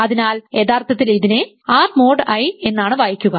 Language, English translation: Malayalam, So, this is actually read as R mod I